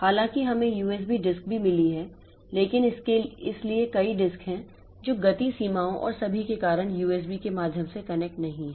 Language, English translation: Hindi, Though we also have got USB disk but so there are many disks which are not connected via USB because of speed limitations and all